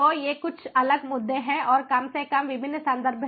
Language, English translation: Hindi, so these are some of these different issues and the least of different references